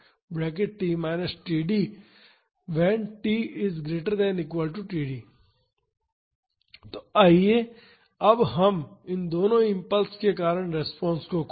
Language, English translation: Hindi, So, now let us find the response due to both the impulses